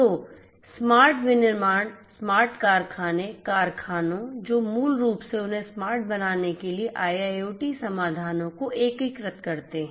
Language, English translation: Hindi, So, smart manufacturing, smart factories, factories which integrate IIoT solutions to basically transformed them to be smart